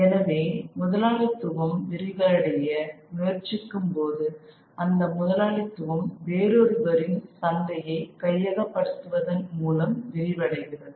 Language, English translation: Tamil, So, when one capitalist tries to expand, that capitalist is sort of expands through taking over somebody else's market